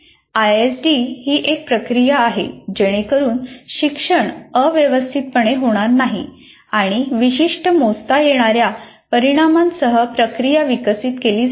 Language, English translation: Marathi, And ISD is a process to ensure learning does not have occur in a haphazard manner and is developed using a process with specific measurable outcomes